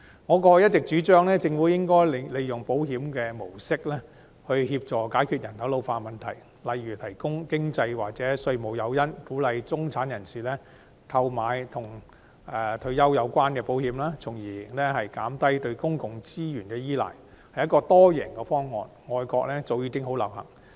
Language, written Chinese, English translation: Cantonese, 我過往一直主張政府利用保險模式協助解決人口老化的問題，例如提供經濟或稅務誘因以鼓勵中產人士購買與退休有關的保險，從而減低對公共資源的依賴，屬多贏方案，外國早已流行。, I have been advocating that the Government makes use of the model of insurance to solve problems arising from population ageing such as providing financial or tax incentives to encourage the middle class to take out retirement - related insurance policies so as to reduce the reliance on public resources . It is a multiple - win option which has long been popular in foreign countries